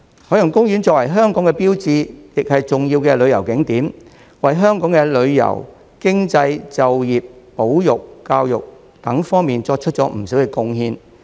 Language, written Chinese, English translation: Cantonese, 海洋公園作為香港的標誌，亦是重要的旅遊景點，為香港的旅遊、經濟、就業、保育、教育等方面作出不少貢獻。, As a landmark of Hong Kong and a major tourist attraction OP has made a lot of contributions to Hong Kong in many respects such as tourism economy employment conservation and education